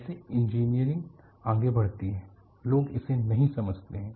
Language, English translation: Hindi, See this is how engineering proceeds;people do not take it